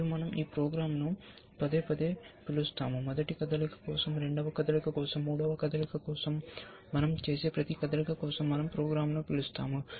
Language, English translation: Telugu, And we will repeatedly call this program, for the first move, for the second move, for the third move, for every move that we make we will call the program